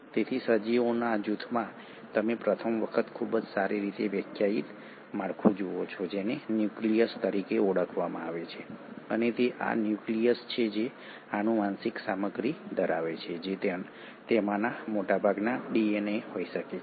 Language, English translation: Gujarati, So in this group of organisms, you for the first time see a very well defined structure which is called as the nucleus and it is this nucleus which houses the genetic material which can be DNA in most of them